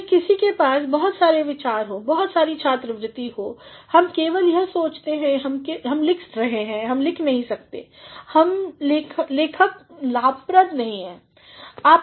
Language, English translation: Hindi, Whether one is having a lot of ideas, one is having a lot of scholarship, one simply thinks that one cannot write unless and until the writing is rewarding